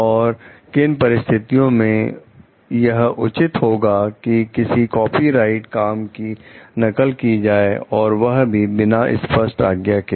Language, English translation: Hindi, Under what if any circumstances is it fair to copy a copyrighted work without explicit permission